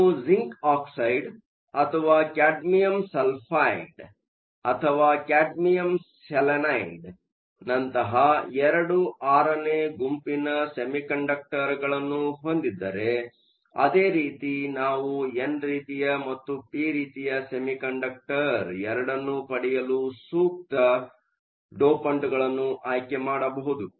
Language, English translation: Kannada, If you have a II VI semi conductor something like zinc oxide or cadmium sulphide or cadmium selenide, similarly we can choose appropriate dopants to get both n type and p type